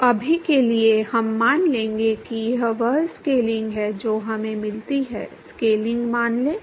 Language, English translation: Hindi, So, for now we will assume that this is the scaling that we get; assume the scaling